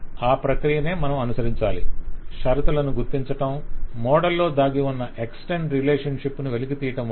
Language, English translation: Telugu, but that is the process that you do, The identification of conditions, the process that you do to extract the extend relationship in the model